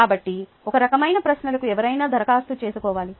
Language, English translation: Telugu, ok, so these kind of questions require somebody to apply